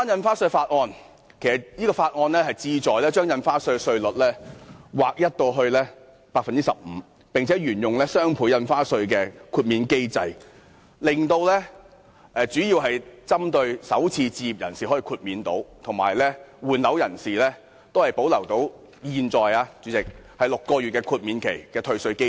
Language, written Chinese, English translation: Cantonese, 《條例草案》旨在把印花稅稅率劃一為 15%， 並且沿用雙倍從價印花稅的豁免機制，主要是讓首次置業人士可獲豁免，而換樓人士則可保留現時6個月豁免期的退稅機制。, The Bill aims at introducing a new flat rate of 15 % for stamp duty and maintaining the same exemption mechanism under the doubled ad valorem stamp duty . Its main purpose is to exempt first - time home buyers and retain the current six - month period for property replacement under the refund mechanism